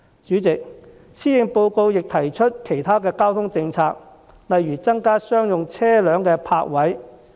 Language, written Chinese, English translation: Cantonese, 主席，施政報告亦提出其他交通政策，例如增加商用車輛的泊位。, President the Policy Address has also put forth other transport policies such as increasing the provision of parking spaces for commercial vehicles